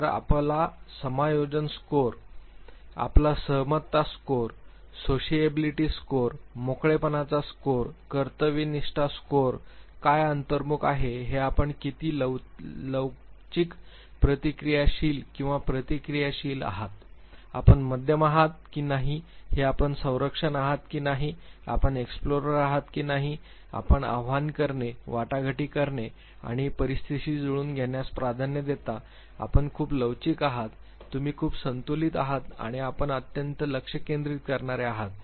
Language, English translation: Marathi, So, your adjustment score, your agreeableness score, sociability score, openness score, conscientiousness scores, will say how resilient responsive or reactive you are how introvert what are what, you are whether you are preserver whether you are moderate whether, you are explorer whether you prefer to challenge, negotiate or adapt, are you very flexible, are you very balanced or are you the one who extremely focused